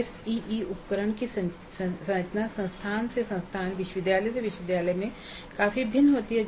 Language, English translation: Hindi, Now the structure of the ACE instrument varies considerably from institute to institute, university to university